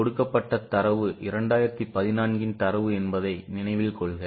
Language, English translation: Tamil, Remember the data given is 2014's data